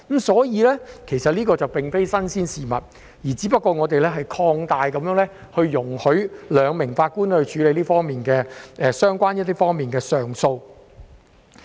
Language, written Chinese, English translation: Cantonese, 所以，這並非新鮮事物，只是我們擴大使用有關安排，容許由兩名法官處理相關方面的上訴。, Therefore this is not something new and we are only extending the use of this arrangement with a view to allowing a 2 - Judge bench to deal with the appeal cases concerned